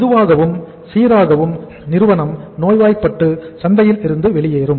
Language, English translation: Tamil, Slowly and steadily the company becomes sick and it goes out of the market